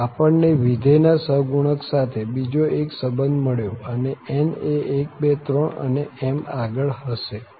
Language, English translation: Gujarati, So, we got another relation of the function to the coefficient an’s and n can be any number 1, 2, 3, and so on